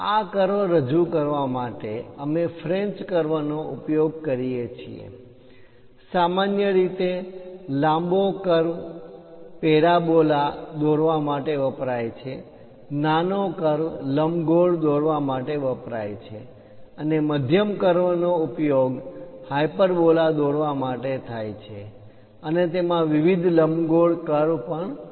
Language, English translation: Gujarati, To represent a curve, we use French curves; usually, the longer ones are used for parabola ; the shorter ones used for ellipse and the medium ones are used for hyperbolas, and also, it contains different elliptic curves also